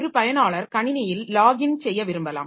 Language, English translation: Tamil, A user may want to log into the system